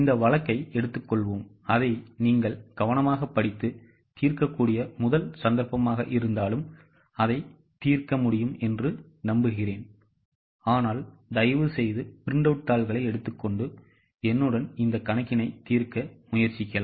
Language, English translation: Tamil, Okay, let us take the case, I hope you can solve it even though it might be the first case, you can just read it carefully and solve it but please take a printout and try to read it along with me